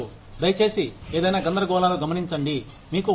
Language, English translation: Telugu, Please note down, any confusions, you may have